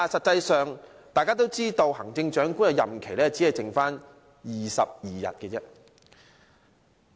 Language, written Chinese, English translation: Cantonese, 可是，大家都知道，行政長官的任期只餘下22天。, However as we all know he has only 22 days left in his tenure as the Chief Executive